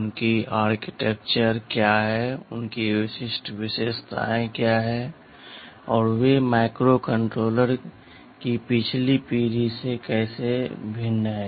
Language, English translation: Hindi, What are their architecture like, what are their specific features, like and how are they different from the earlier generation of microcontrollers ok